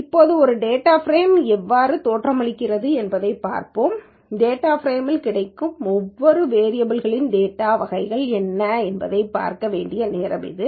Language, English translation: Tamil, Now that we have seen how a data frame looks, it's time to see what are the data types of each variable that is available in the data frame